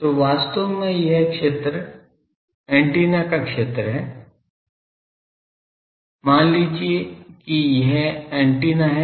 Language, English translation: Hindi, So, actually the region suppose this is the region of the antenna, suppose this is antenna